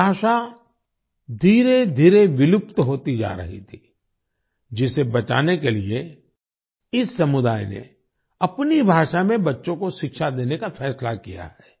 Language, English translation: Hindi, This language was gradually becoming extinct; to save it, this community has decided to educate children in their own language